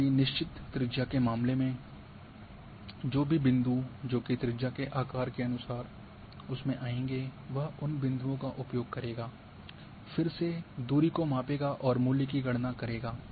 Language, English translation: Hindi, Whereas, in the case of fixed radius whatever the number points which will fall as per the size of the radius it will use those points again measure the distance and calculate the value